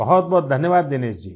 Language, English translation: Hindi, Many thanks Dinesh ji